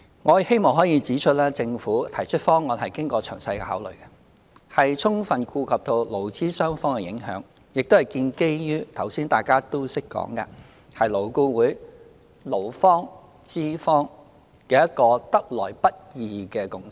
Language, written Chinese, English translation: Cantonese, 我希望可以指出，政府提出的方案經過了詳細的考慮，充分顧及對勞資雙方的影響，亦建基於——剛才大家也談到的——勞顧會勞資雙方一個得來不易的共識。, I wish to point out that the Government has formulated the legislative proposal after detailed consideration . We have given due regard to the impact on employers and employees and as mentioned by some Members earlier the proposal is based on a hard - earned consensus between both sides in LAB